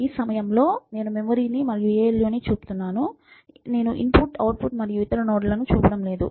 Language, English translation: Telugu, So, in this at this point I am showing the memory and the ALU, I am not showing the input and output and other notes and so, on